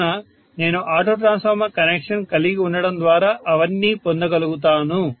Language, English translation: Telugu, So I would be able to get all of them by having auto transformer connection, got it